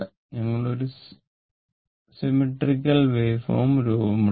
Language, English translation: Malayalam, We have taken some wave form, but symmetrical